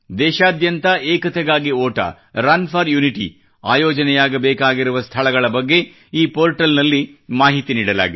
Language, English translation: Kannada, In this portal, information has been provided about the venues where 'Run for Unity' is to be organized across the country